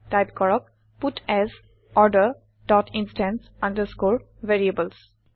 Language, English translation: Assamese, Type puts Order dot instance underscore variables